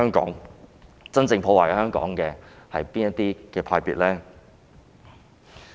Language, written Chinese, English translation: Cantonese, 究竟真正破壞香港的是哪些派別呢？, Which faction or group is truly destroying Hong Kong?